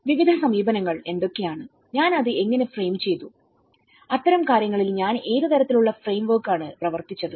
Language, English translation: Malayalam, And what are the various approaches, how I framed it and what kind of framework I worked on things like that